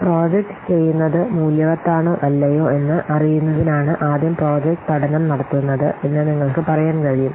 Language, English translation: Malayalam, You can see that first the project study is conducted in order to know that whether the project is worth doing or not